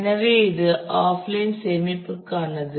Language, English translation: Tamil, So, that is for offline storage